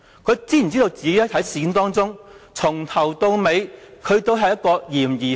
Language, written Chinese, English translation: Cantonese, 他知否自己在事件中，由始至終都是一個嫌疑犯？, Is he aware that he is a suspect in this matter from the very beginning?